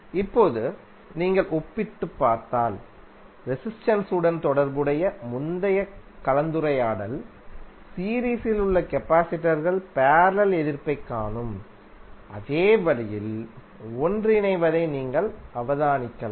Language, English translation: Tamil, Now if you compare with the, the previous discussion related to resistance you can observe that capacitors in series combine in the same manner as you see resistance in the parallel